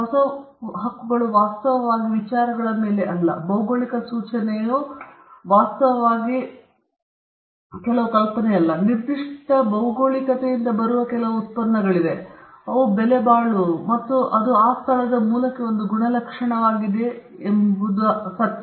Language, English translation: Kannada, It also manifests itself on… the new rights are not actually on ideas; like a geographical indication is not actually on some idea; it’s the fact that there are certain products that come of a particular geography, which are valuable and it’s an attribution to the origin from that place